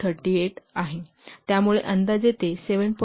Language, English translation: Marathi, 38 so roughly it will give 8